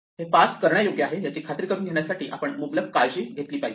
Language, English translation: Marathi, We have been abundantly careful in making sure that this is parsable